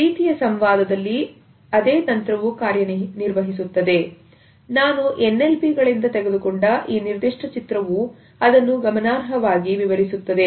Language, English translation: Kannada, The same strategy works during this type of dialogues also this particular image which I have taken from LNPs illustrates it very significantly